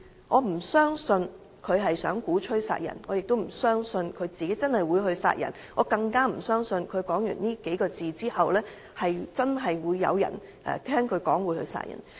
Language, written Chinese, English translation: Cantonese, 我不相信他想鼓吹殺人，也不相信他真的會殺人，更不相信他說完這數個字後，會有人真的聽他的話去殺人。, I believe he did not want to advocate killing nor he would really kill someone . I all the more believe that nobody would really go and kill someone after hearing those few words he said